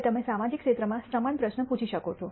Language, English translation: Gujarati, Now, you can ask similar question in the social sector